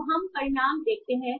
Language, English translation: Hindi, So let us see the result